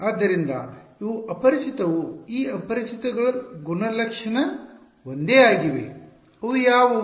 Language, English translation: Kannada, So, these are unknowns right of these unknowns some the unknown are the same which are they